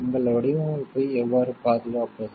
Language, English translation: Tamil, How can you protect for your design